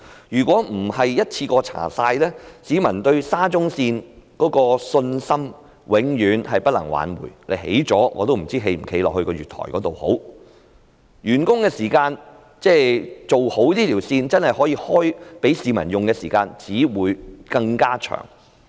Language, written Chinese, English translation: Cantonese, 如果不是一次過調查的話，永遠不能夠挽回市民對沙中線的信心，即使建成我也不知應否踏足那月台，而這條路線的完工時間，即可供市民使用的時間，只會更加延後。, Without an investigation into all the stations in one go public confidence in SCL can never be restored . Even when the construction of SCL is completed I would not know whether I should set foot on that platform and the completion of SCL for use by the public would only be delayed further